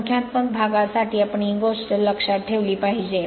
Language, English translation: Marathi, This thing for numerical part you have to keep it in your mind